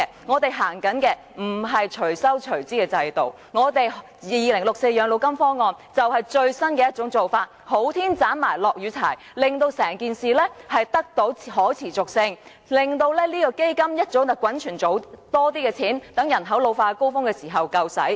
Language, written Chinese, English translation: Cantonese, 我們實行的不是"隨收隨支"的制度 ，2064 全民養老金方案，就是最新的做法，"好天斬埋落雨柴"，令退休保障可持續運作，令基金早點滾存更多錢，待人口老化高峰時足夠使用。, We do not propose to implement a pay - as - you - go system . The 2064 Universal Old Age Pension Option is the latest practice to make hay while the sun shines so that retirement protection can sustainably operate and more funds can be accumulated sooner to meet the needs arising at the peak of population ageing